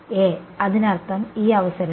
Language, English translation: Malayalam, A; that means, at this point right